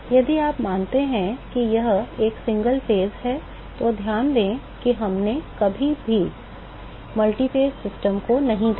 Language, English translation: Hindi, If you assume that it is a single phase, note that we never looked at multiphase system